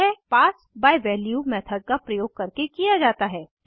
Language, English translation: Hindi, This is done by using the method pass by value